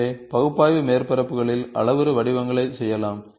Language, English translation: Tamil, So, in analytical surfaces, parametric forms can be done